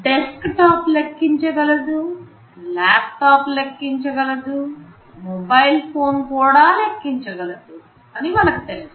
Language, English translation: Telugu, Like we know desktop can compute, a laptop can compute, a mobile phone can also compute in some sense